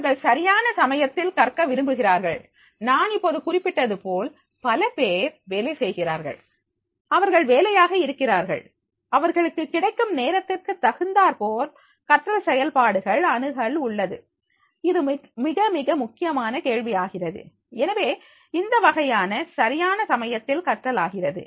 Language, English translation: Tamil, They prefer to learn just in time, now as I mention many of them are working, they are busy, they have access the learning process as per as whatever the time available to them, this is becoming a very, very critical question and therefore this type of these learning that is becoming just in time